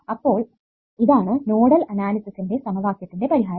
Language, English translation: Malayalam, ok, so what is my set ofnodal equations